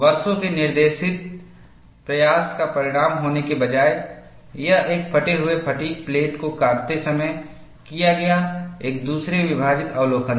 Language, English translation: Hindi, Rather than being the result of years of directed effort, it was a split second observation made, while cutting up a fatigue cracked plate